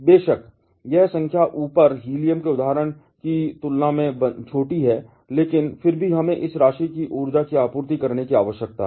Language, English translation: Hindi, Of course, this number is smaller compare to the example of helium above, but still we need to supply this amount energy